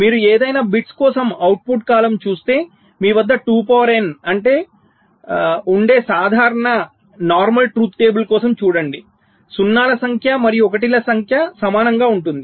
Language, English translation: Telugu, if you look at the output column for any of the bits, see for a normal truth table where you have all two to the power, number of zeros are once are equal